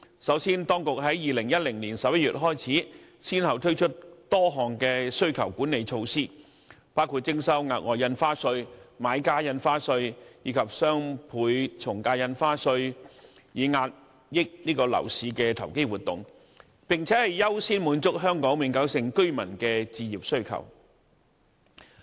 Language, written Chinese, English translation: Cantonese, 首先，當局從2010年11月開始，先後推出多項需求管理措施，包括徵收額外印花稅、買家印花稅，以及雙倍從價印花稅，以遏抑樓市的投機活動，並優先滿足香港永久性居民的置業需求。, First of all since November 2010 the authorities have successively launched a number of demand - side management measures including the levying of the Special Stamp Duty Buyers Stamp Duty and Doubled Ad Valorem Stamp Duty DSD to curb speculative activities in the property market and accord priority to the home ownership needs of Hong Kong permanent residents